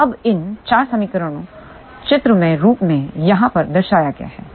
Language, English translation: Hindi, So, now, these 4 equations are represented in this graphical form over here